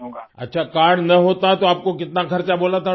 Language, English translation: Urdu, Ok, if you did not have the card, how much expenses the doctor had told you